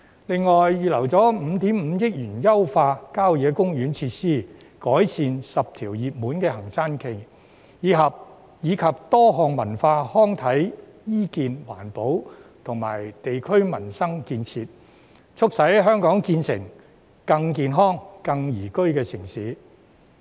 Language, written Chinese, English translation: Cantonese, 政府亦預留5億 5,000 萬元優化郊野公園設施、改善10條熱門行山徑，以及進行多項文化、康體、醫健、環保及地區民生建設，促使香港成為更健康、更宜居的城市。, The Government has also earmarked 550 million to optimize country park facilities improve 10 popular hiking trails and carry out a number of cultural recreational health environmental protection and community - based livelihood projects to help Hong Kong become a healthier and more liveable city